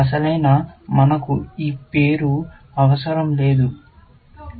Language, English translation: Telugu, Actually, we do not need this name, sorry